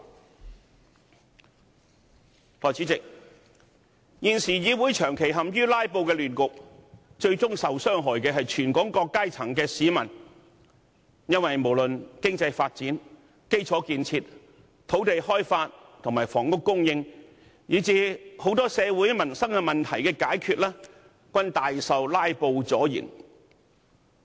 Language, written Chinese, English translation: Cantonese, 代理主席，現時議會長期陷於"拉布"的亂局，最終受害的是全港各階層的市民，因為不論是經濟發展、基礎建設、土地開發及房屋供應，以至許多社會民生問題的解決措施，均大受"拉布"阻延。, Deputy President the Legislative Council is now permanently affected by the chaos created by filibustering and people from all walks of life and different sectors will ultimately be the victims since filibustering has seriously hampered economic development the implementation of infrastructural projects land development and the supply of housing as well as the introduction of measures to tackle numerous social and livelihood problems